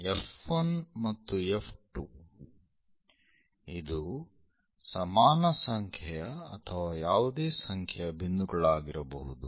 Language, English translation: Kannada, F 1 and F 2 it can be equal or any number of points